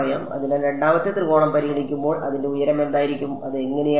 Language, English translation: Malayalam, So, when I consider the second triangle what will be the height of I mean what will it look like